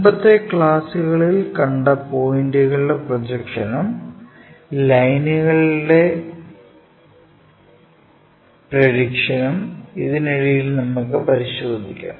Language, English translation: Malayalam, Earlier classes we try to look at projection of points, prediction of lines and now we are going to look at projection of planes